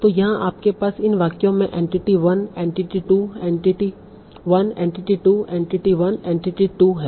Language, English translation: Hindi, So here you have the entity 1, entity 2, entity 2, entity 1, entity 2, entity 2, entity 1, entity 2 in these sentences